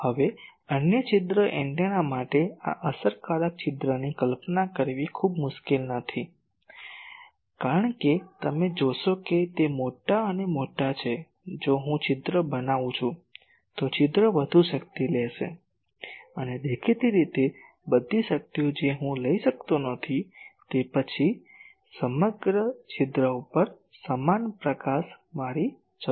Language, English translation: Gujarati, Now, for other aperture antennas it is not difficult to visualize this effective aperture, because you see that larger and larger, if I make a aperture, then aperture will take more power and obviously, all the powers I cannot take because, then I require uniform illumination over the whole aperture